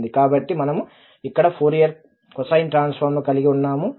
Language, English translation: Telugu, So, we have here the Fourier cosine transform